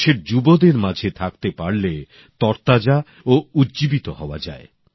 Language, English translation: Bengali, To be amongst the youth of the country is extremely refreshing and energizing